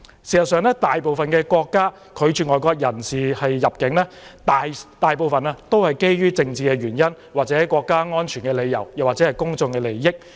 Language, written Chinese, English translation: Cantonese, 事實上，大部分國家拒絕外國人士入境時，大都基於政治原因、國家安全理由或公眾利益。, In fact most countries refuse the entry of foreigners mainly for political reasons or out of consideration for national security or public interests